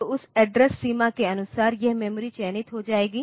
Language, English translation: Hindi, So, this is the memory will get selected